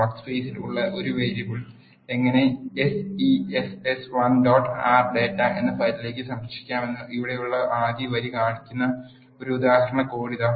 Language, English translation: Malayalam, Here is an example code the first line here shows how to save a variable that is there in the workspace into a file name sess1 dot R data